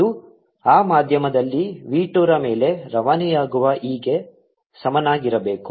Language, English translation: Kannada, this should be equal to e transmitted over v two in that medium